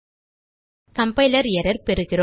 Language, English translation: Tamil, We get a compiler error